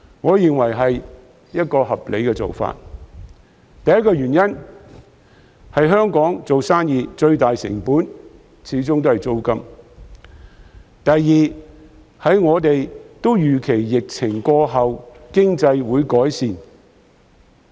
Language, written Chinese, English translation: Cantonese, 我認為這是合理的做法，首先是因為在香港做生意的最大成本始終在於租金，其次是我們預期疫情過後經濟也會有改善。, I consider this a reasonable approach . Firstly the biggest cost of doing business in Hong Kong is still rent and we anticipate that the economy will improve after the epidemic